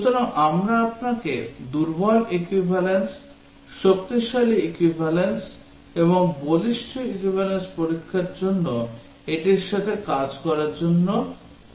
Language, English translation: Bengali, So, we will request you to work out this one for the weak equivalence, strong equivalence and the robust testing